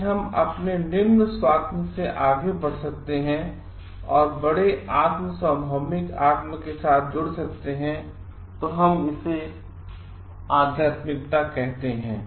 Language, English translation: Hindi, If we can transcend beyond our own small shelf and get connected with the bigger self universal self rather as we call is spirituality